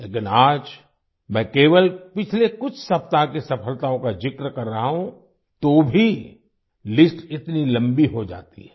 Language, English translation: Hindi, But, today, I am just mentioning the successes of the past few weeks, even then the list becomes so long